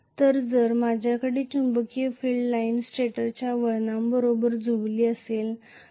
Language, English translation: Marathi, So if I am having the magnetic field line aligned exactly with that of the stator winding